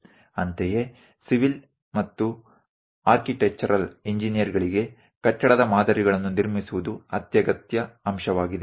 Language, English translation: Kannada, Similarly, for civil and architectural engineers, constructing building's patterns is essential components